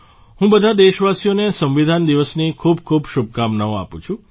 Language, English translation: Gujarati, I extend my best wishes to all countrymen on the occasion of Constitution Day